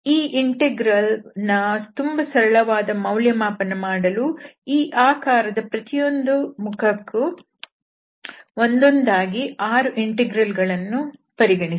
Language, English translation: Kannada, So, this integral can be evaluated in a much simpler way by considering the six integrals, one for each face of this geometry